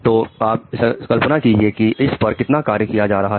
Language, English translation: Hindi, So you can just imagine the amount of work which is going on